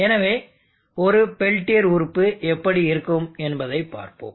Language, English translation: Tamil, Let us now see how our real peltier element looks like